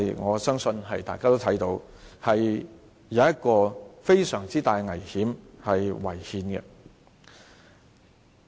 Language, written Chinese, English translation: Cantonese, 我相信大家也看到，這做法有非常大的危險，並且是違憲的。, I believe Members can see that this will pose a great danger and contravene the Constitution